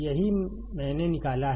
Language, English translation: Hindi, This is what I have derived